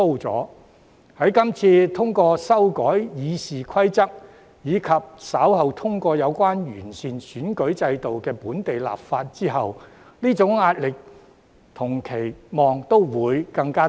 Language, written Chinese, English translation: Cantonese, 在這次通過修訂《議事規則》，以及稍後通過有關完善選舉制度的本地立法後，這種壓力和期望也會更大。, After the passage of the amendments to the Rules of Procedure this time around and also the local legislation on improving the electoral system that follows such pressure and expectation will only rise further still